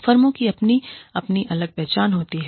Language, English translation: Hindi, The firms have their, own individual identity